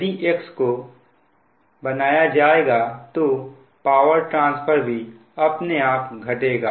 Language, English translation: Hindi, if x increases then naturally power transfer will decrease